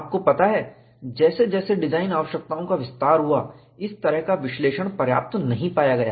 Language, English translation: Hindi, You know, as design requirements expanded, this kind of analysis was not found to be sufficient